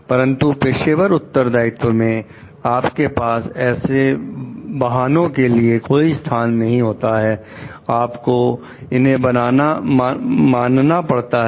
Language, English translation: Hindi, But in case of professional responsibility, you do not have any place for these excuses, you have to follow it